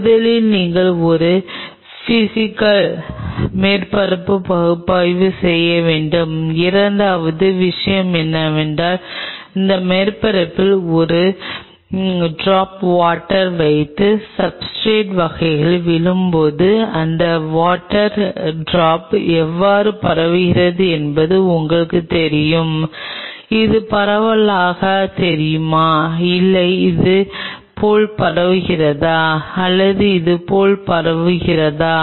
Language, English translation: Tamil, First you should do a Physical surface analysis; second thing what is essential is put a drop of water on this surface and see how the drop of water upon falling on the substrate kind of you know spread out does it remain like this or does it spread out like this or does it spread out like this